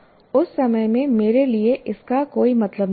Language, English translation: Hindi, It doesn't make meaning to me at that point of time